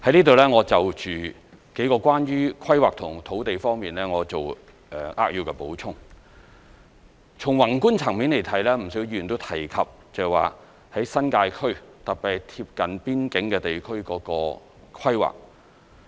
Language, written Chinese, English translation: Cantonese, 在此，我就有關規劃和土地的數個方面，作扼要補充：從宏觀層面來看，不少議員都提及新界區，特別是貼近邊境地區的規劃。, I hereby briefly explain several aspects concerning the planning and land issues . From a macro perspective a number of Members have mentioned the planning of the New Territories in particular places adjacent to the boundary